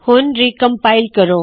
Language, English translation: Punjabi, Let me now recompile